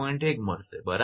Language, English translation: Gujarati, 2 is equal to 3